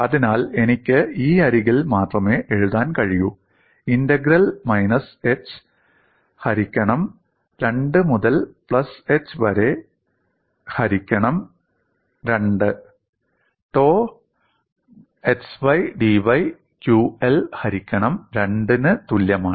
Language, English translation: Malayalam, So I can only write on this edge, integral minus h by 2, to plus h by 2, tau xydy, equal to, qL by 2